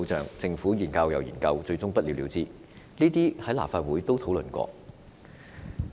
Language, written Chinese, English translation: Cantonese, 然而，政府一再研究，但最終仍不了了之，此等情況在立法會亦曾經討論。, But after repeated studies conducted by the Government no definite conclusion has been drawn eventually and this situation was also discussed in the Legislative Council before